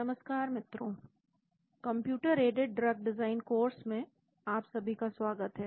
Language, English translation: Hindi, Hello, everyone, welcome to the course on computer in a drug design